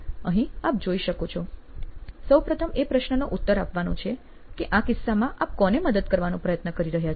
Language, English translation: Gujarati, Here, if you see the first question to answer is, who are you trying to help really in this case